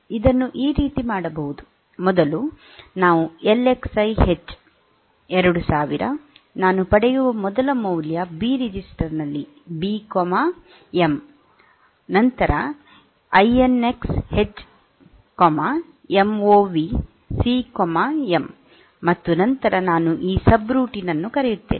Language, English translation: Kannada, So, we can do it like this, first we do an LXI H,2000 MOV, first value I get in B register B comma M, then INX H , MOV C comma M, and then I call this subroutine